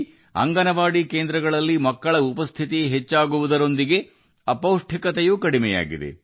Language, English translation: Kannada, Besides this increase in the attendance of children in Anganwadi centers, malnutrition has also shown a dip